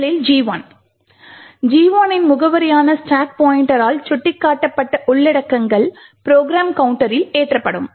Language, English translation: Tamil, First the address of G1 gets taken from this particular location which is pointed to by the stack pointer and loaded in the program counter